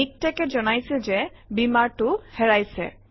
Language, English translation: Assamese, MikTeX complains that Beamer is missing